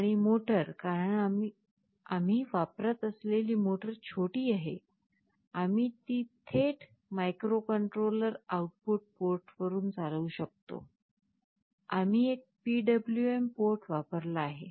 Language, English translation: Marathi, And the motor, because it is a small motor we are using, we can drive it directly from the microcontroller output port, we have used one PWM port